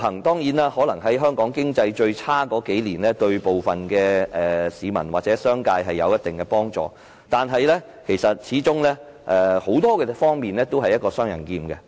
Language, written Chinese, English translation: Cantonese, 當然，在香港經濟最差的數年間，自由行對部分市民或商界有一定幫助，但它始終在很多方面也是一把"雙刃劍"。, Certainly during the few years when the economy of Hong Kong was at its worst IVS might have offered certain help to some people or the business sector but in many respects it is a double - edged sword